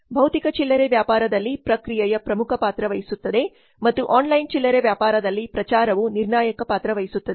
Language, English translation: Kannada, Process play important role in physical retail and promotion plays crucial role in online retailing